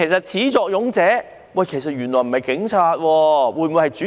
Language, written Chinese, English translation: Cantonese, 始作俑者會否不是警察，而是主席呢？, Could the President not the Police be the culprit behind the trouble?